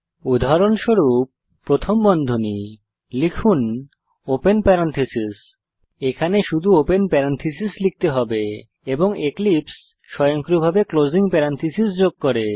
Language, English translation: Bengali, For example parentheses, type open parentheses We can see that we only have to type the open parenthesis and eclipse automatically adds the closing parenthesis